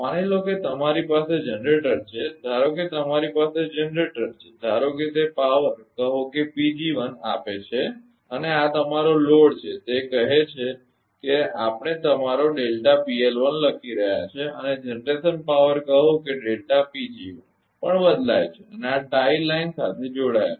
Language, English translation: Gujarati, Suppose, suppose you have a generator suppose you have a generator generator is suppose giving power say P g 1 and this is your load say it is we are writing your delta P L 1 and generation power also change say delta P g 1 and this is the tie line connected that